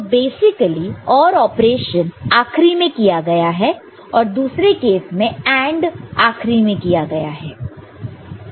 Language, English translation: Hindi, So, basically the OR operation is done at the end and other case AND operation is done at the end, ok